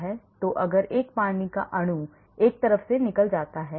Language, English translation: Hindi, So, if 1 water molecule goes out from one side